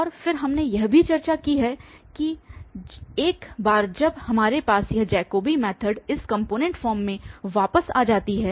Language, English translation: Hindi, And then we have also discussed that once we have this Jacobi method for instances return in this component form